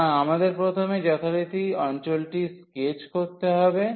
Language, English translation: Bengali, So, we have to first sketch the region as usual